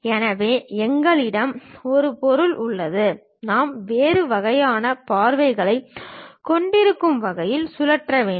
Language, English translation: Tamil, So, we have an object, we have to rotate in such a way that we will have different kind of views